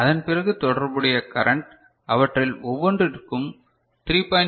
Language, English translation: Tamil, And then the corresponding current will be in that case you know 3